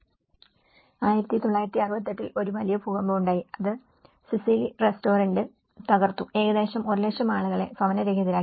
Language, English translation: Malayalam, In 1968, there has been a vast earthquake which has destroyed the restaurant Sicily almost leaving 1 lakh people homeless